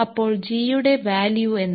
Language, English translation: Malayalam, So, what is the value of g